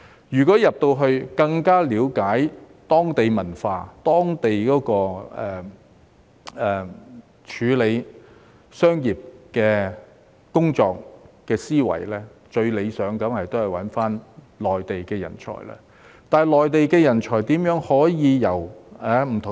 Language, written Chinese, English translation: Cantonese, 如要更了解當地文化、當地處理商業的工作思維，最理想當然是用內地人才。, To better understand the local culture and local mindset in business dealings the best way is of course to utilize Mainland talents